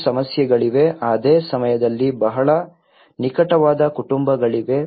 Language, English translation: Kannada, There are also some issues at the same time there is a very close knit families